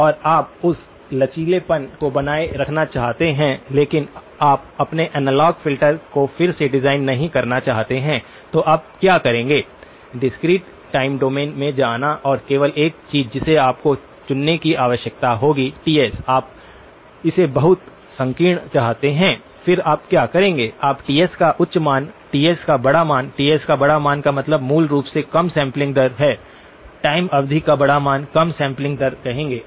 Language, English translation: Hindi, And you want to keep that flexibility but you do not want to keep redesigning your analogue filters then what you would do is; go into the discrete time domain and the only thing that you would need to choose would be Ts, you want it very narrow then, what you would you do; you would choose a high value of Ts, large value of Ts, large value of Ts basically says lower sampling rate, large value of the time period, lower sampling rate